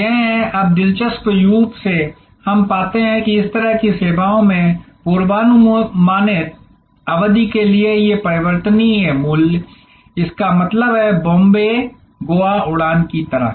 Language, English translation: Hindi, These are, now interestingly we find that in this kind of services, these variable price for predictable duration; that means, like a Bombay, Goa flight